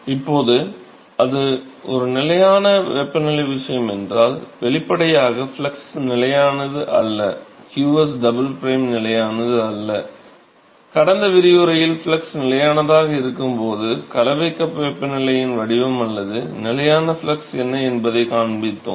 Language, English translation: Tamil, So, now if it is a constant temperature case; obviously, the flux is not constant, qs double prime is not constant, in the last lecture we showed what is the mixing cup temperature profile when the flux is constant or the constant flux case which